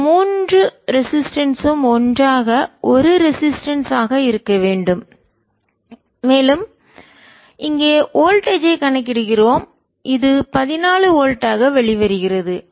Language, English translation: Tamil, all these three resistance to together to be one resistance and we have calculating a voltage here which comes out to be fourteen volts outside the field